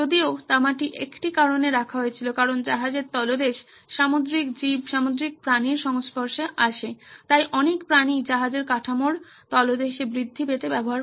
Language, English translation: Bengali, While the copper was in place for a reason because the underneath the ship was exposed to marine creatures, marine life, so a lot of creatures use to grow on the bottom of the hull